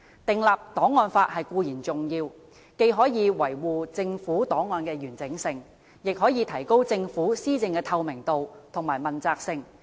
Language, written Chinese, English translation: Cantonese, 訂立檔案法固然重要，既可維護政府檔案的完整性，也可提高政府施政的透明度和問責性。, Archive laws can maintain the integrity of government records and enhance the transparency and accountability of governance